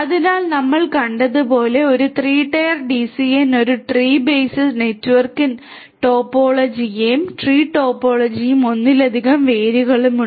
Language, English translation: Malayalam, So, a 3 tier DCN as we have seen has a tree based network topology and there are multiple roots in the tree topology